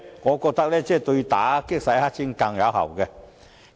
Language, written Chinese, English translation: Cantonese, 我認為這樣對打擊洗黑錢更為有效。, I think the latter will be more effective?